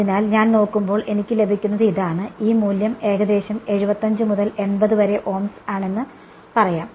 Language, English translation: Malayalam, So, this is what I get when I look at the right; and this value is roughly about 75 to 80 Ohms let say